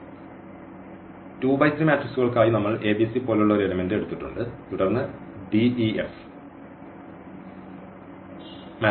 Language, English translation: Malayalam, So, for 2 by 3 matrices so, we have taken one element like a b c and then the d e and f this is the one element we have taken from this set